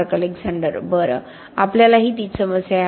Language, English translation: Marathi, Mark Alexander: Well, we have the same problem